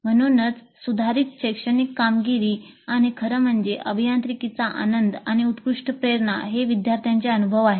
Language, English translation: Marathi, So improved academic achievement and obviously better motivation and joy of engineering which the students experience